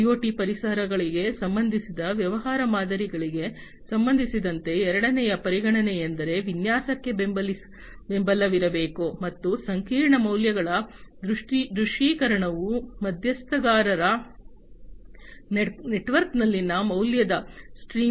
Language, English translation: Kannada, The second consideration with respect to the business models for IoT environments is that there should be support for design as well as the visualization of complex values is value streams within the stakeholder network